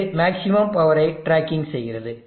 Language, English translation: Tamil, It is tracking the max power